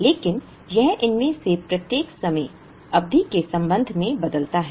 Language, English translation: Hindi, But, it changes with respect to each of these time periods